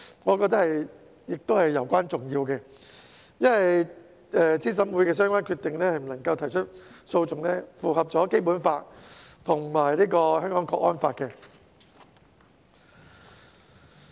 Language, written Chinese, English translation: Cantonese, 我覺得這是攸關重要的，因為對資審會的相關決定不得提出訴訟，符合《基本法》和《香港國安法》。, This I think is of utmost importance because the stipulation that no legal proceedings may be instituted in respect of the relevant decisions made by CERC is in line with the Basic Law and the Hong Kong National Security Law